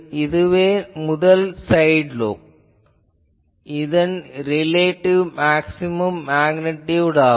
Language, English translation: Tamil, So, this is the a first side lobe relative maximum magnitude for this